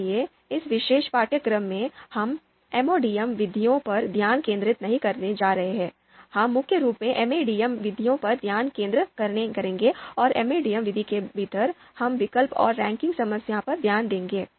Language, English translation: Hindi, So in this particular course, we are not going to focus on MODM methods, we will mainly focus on MADM MADM methods and within the MADM method, we will look to you know focus on choice and ranking problem